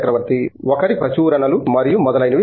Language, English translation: Telugu, Each other's publications and so on